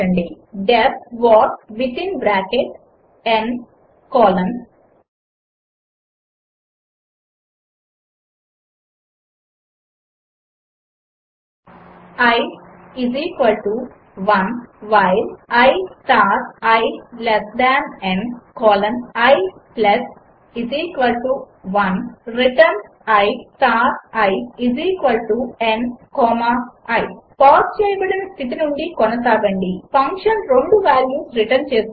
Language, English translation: Telugu, def what within bracket n colon i = 1 while i star i is less than n colon i += 1 return i star i == n comma i continue the video The function returns two values